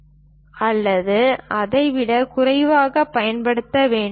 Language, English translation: Tamil, 5 millimeters or lower than that